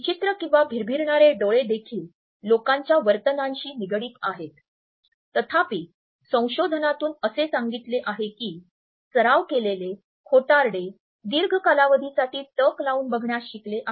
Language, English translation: Marathi, Darting eyes are also associated with the line behavior of people however researches tell us that practiced liars have learnt to hold the gaze for a longer period